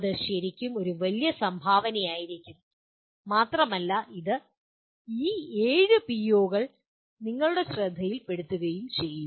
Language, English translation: Malayalam, That would be a really a great contribution as well as it will bring it to your attention to these 7 POs